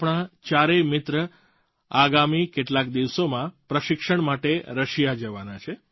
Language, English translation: Gujarati, Our four friends are about to go to Russia in a few days for their training